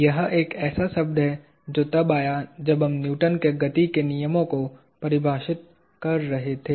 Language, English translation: Hindi, This is a word that occurred when we were defining Newton’s laws of motion